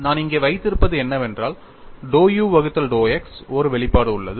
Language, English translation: Tamil, So, I will have to evaluate one half of dou u by dou y plus dou v by dou x